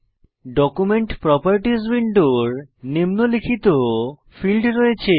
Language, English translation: Bengali, Document properties window has the following fields